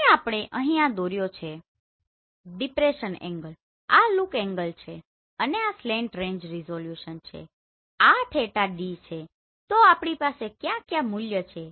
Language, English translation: Gujarati, Now here we have drawn this is the depression angle this is look angle and this is slant range resolution this is theta d so what value we have